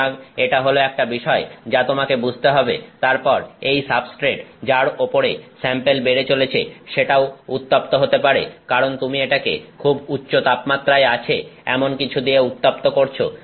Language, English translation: Bengali, So, that is something that you have to understand, then the substrate on which the sample is growing that can also heat up because, you are heating it with something that is at very high temperature